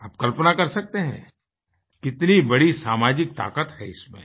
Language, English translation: Hindi, You can well imagine the social strength this statement had